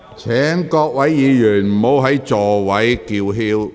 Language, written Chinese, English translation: Cantonese, 請各位議員停止在席上叫喊。, Will Members please stop shouting in their seats